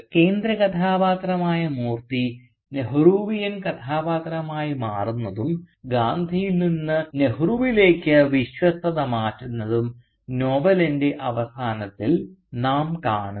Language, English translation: Malayalam, At the end of the novel we actually see the central character Moorthy transforming into a Nehruvian character and shifting his allegiance from Gandhi to Nehru